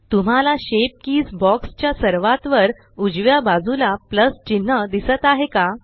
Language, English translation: Marathi, Do you see the plus sign at the far right of the shape keys box